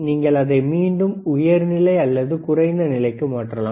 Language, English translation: Tamil, And you can again change it to high level or low level